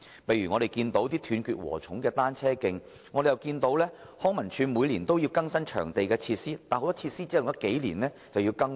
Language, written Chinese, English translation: Cantonese, 例如一些"斷截禾蟲"般的單車徑，而康樂及文化事務署每年更新場地設施，但很多設施只用了數年又再次更換。, Examples include broken cycling tracks and annual upgrading of venue facilities by the Leisure and Cultural Services Department